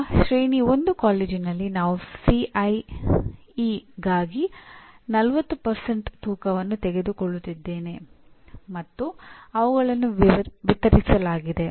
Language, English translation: Kannada, Now, whereas in Tier 1 college, I am taking 40% weightage for CIE and they are distributed